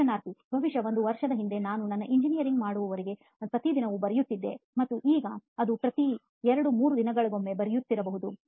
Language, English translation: Kannada, Maybe a year back, till I did my engineering it used to be almost every day and now maybe it is once every two to three days